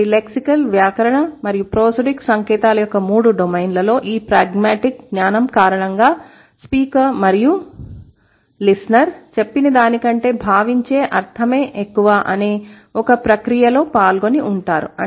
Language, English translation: Telugu, So, because of this pragmatic knowledge in all the three domains of science, lexical, grammatical and prosodic, the speaker and the hearer, they are involved in a process where what is meant is more than what is said